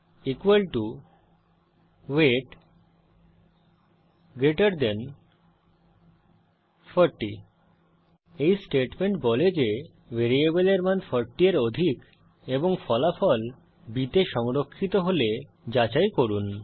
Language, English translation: Bengali, b equal to weight greater than 40 This statement says check if the value of variable is greater than 40 and store the result in b Now Let us print the value of b